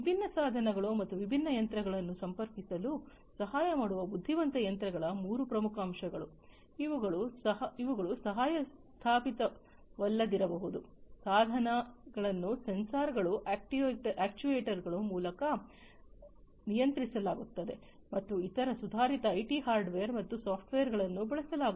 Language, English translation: Kannada, So, these are the three key elements intelligent machines that help connect different devices and different machines, which may not be co located the devices are controlled through sensors actuators and using different other advanced IT hardware and software